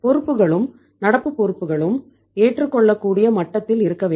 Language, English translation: Tamil, Liabilities, current liability should also be at the acceptable level